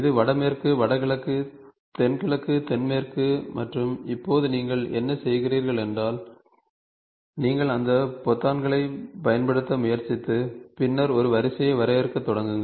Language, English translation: Tamil, So, this is northwest, northeast, southeast, southwest right and now what you do is you try to use those buttons and then start defining a sequence